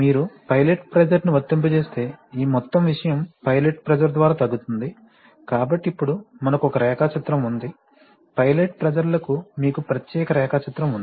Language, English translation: Telugu, If you apply pilot pressure then this whole thing, by pilot pressure will come down, so the, so this thing, now that, I think we have a diagram, you have a separate diagram for the pilot pressures